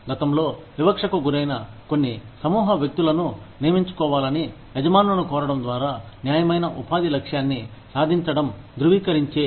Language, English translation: Telugu, Affirmative action aims to, accomplish the goal of fair employment, by urging employers, to hire certain groups of people, who were discriminated, against in the past